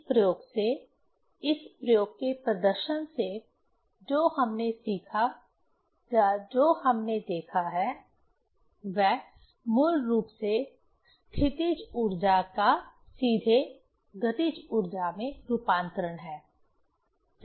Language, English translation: Hindi, From this experiment, from the demonstration of this experiment, what we learned or what we have seen, that is the basically conversion of potential energy directly into the kinetic energy, right